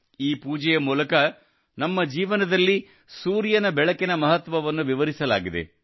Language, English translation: Kannada, Through this puja the importance of sunlight in our life has been illustrated